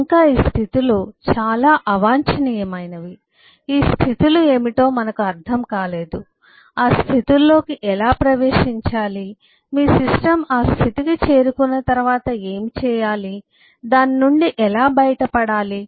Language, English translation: Telugu, we just do not understand what these states are, how to enter into those states, what to do once your system gets into that state, how to get out of that